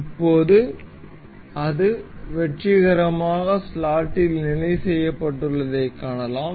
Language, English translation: Tamil, Now, we can see it is successfully fixed into the slot